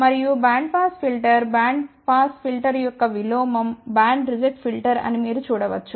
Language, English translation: Telugu, And a band pass filter you can see that the inverse of band pass filter will realize band reject filter